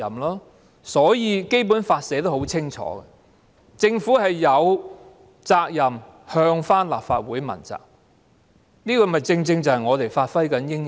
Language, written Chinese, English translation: Cantonese, 因此，《基本法》清楚訂明，政府有責任向立法會問責，這正正是我們應發揮的作用。, Hence it is stipulated clearly in the Basic Law that the Government should be accountable to the Legislative Council . And holding the Government accountable is precisely the function this Council should perform